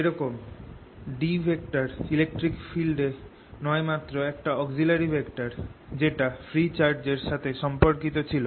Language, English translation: Bengali, h, just like d was not electric field but just an auxiliary vector which was related to free charge